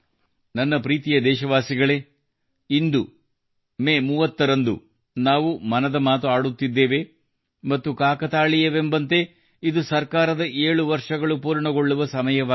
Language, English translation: Kannada, My dear countrymen, today on 30th May we are having 'Mann Ki Baat' and incidentally it also marks the completion of 7 years of the government